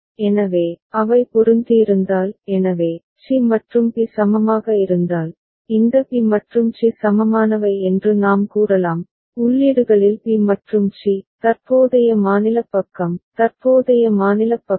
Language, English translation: Tamil, So, had they matched so, if c and b were equivalent, then we can say that this b and c are equivalent, b and c at the inputs, the current state side, present state side